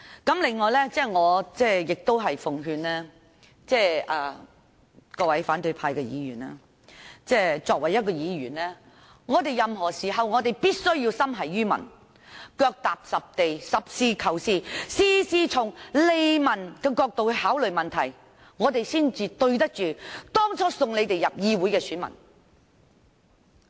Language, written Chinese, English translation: Cantonese, 此外，我奉勸各位反對派議員，作為議員，任何時候必須心繫於民，腳踏實地，實事求是，事事從利民角度考慮，這樣才對得起當初選他們進入議會的選民。, Moreover let me advise the opposition Members . As Members we must always be concerned about the public be practical seek truth from facts and take the publics interests into account . Only in this way will we not let those who elected us down